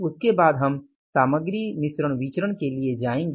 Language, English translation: Hindi, After that we will go for the material mix variances